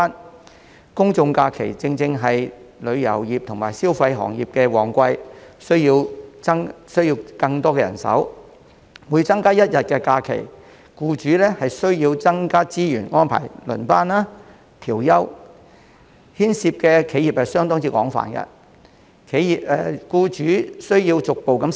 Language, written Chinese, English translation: Cantonese, 由於公眾假期正是旅遊業和消費行業的旺季，僱主需要更多人手，所以每增加一天假期，僱主便要增加資源以安排輪班、調休，牽涉的企業相當廣泛，僱主亦需要逐步適應。, As general holidays often fall within the peak season of the tourism and consumption sectors when employers need more manpower an additional day of holiday will necessitate the input of additional resources by the employers to arrange shifts and rest days of employees . This will affect a wide range of enterprises and employers will have to make adjustment progressively